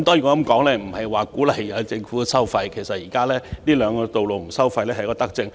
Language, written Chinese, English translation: Cantonese, 我無意鼓勵政府收費，而其實有關隧道不設收費亦是一項德政。, I have no intention to urge the Government to charge tolls on them . Actually it is a good policy to make the relevant tunnels toll - free